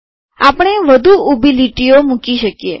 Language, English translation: Gujarati, As a matter of fact, we can put more vertical lines